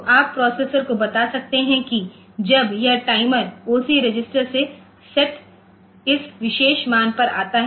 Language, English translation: Hindi, So, you can tell the processor that when this timer comes to this particular set value in the set in the OC register